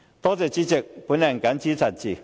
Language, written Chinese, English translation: Cantonese, 多謝主席，我謹此陳辭。, Thank you President . I so submit